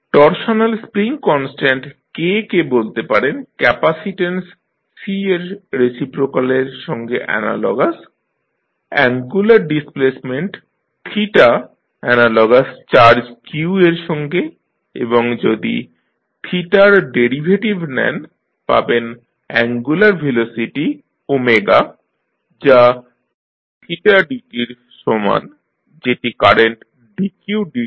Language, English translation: Bengali, Torsional spring constant that is K, you can say that it is analogous to reciprocal of capacitance C, angular displacement theta is analogous to charge q and then again if you take the derivative of theta, you get angular velocity omega that is equal to d theta by dt which is analogous to dq by dt that is nothing but the current i